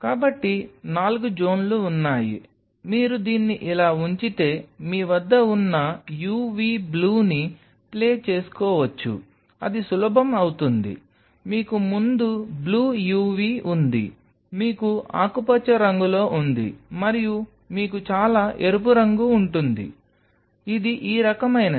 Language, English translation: Telugu, So, there are four zones where can play away u v blue you have if you put it like this, it will make easy, you have blue uv before that, you have green you have red and you have far red, this is the kind of zone where you are playing this game